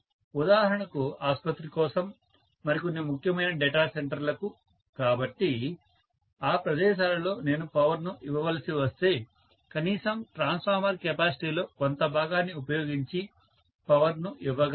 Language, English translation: Telugu, For example for hospital, for some other you know important data center so, in those places if I have to give power at least I can give power using part of the transformer capacity